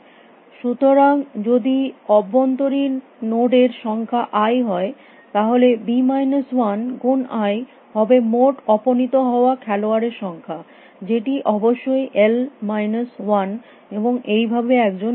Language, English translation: Bengali, So, if i is the number of internal nodes then b minus one into i is the total number of base which are eliminated, which is of course, l minus one and thus one winner who stands out